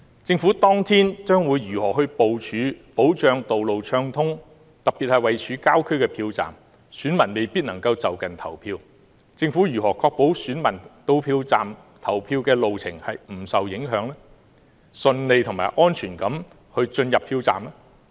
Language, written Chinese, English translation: Cantonese, 政府當天將會如何部署，保障道路暢通，特別是位處郊區的票站，選民未必能在就近投票，政府如何確保選民到票站的路程不受影響，能夠順利及安全地投票？, What plans does the Government have on that day to ensure that the traffic is smooth? . In particular some polling stations are located in the countryside how will the Government ensure that voters whose polling stations are not near their homes can go to vote smoothly and safely on their way to the polling stations?